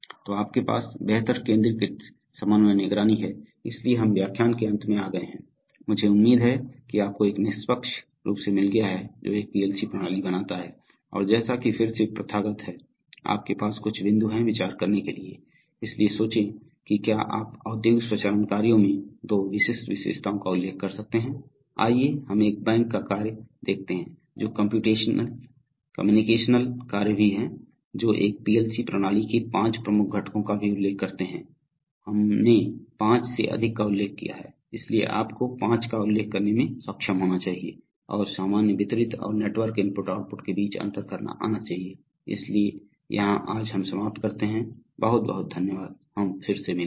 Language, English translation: Hindi, So you have better centralized coordination monitoring, so we have come to the end of the lecture and so we have, I hope you have got a fairly, a fair idea about what makes a PLC system and as is customary again, you have some points to ponder, so think of think whether you can mention two distinguishing features of industrial automation tasks compared to, let us say a task in a bank, which are also computational tasks, which also communicate, mention five major components of a PLC system, we have mentioned more than five, so you should be able to mention five and distinguish between normal distributed and network I/O, so here we end today, thank you very much we will meet again